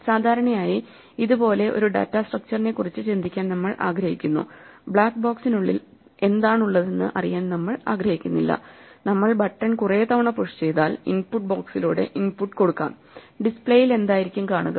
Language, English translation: Malayalam, This is typically how we would like to think of a data structure, we do not want to know what is inside the black box we just want to specify that if we do a sequence of button pushes and we start supplying input through the input box what do we expect to see if the display